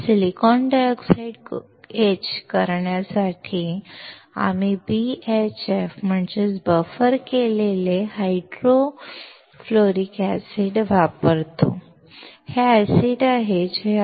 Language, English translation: Marathi, To etch silicon dioxide, we use BHF, that is, Buffered Hydrofluoric acid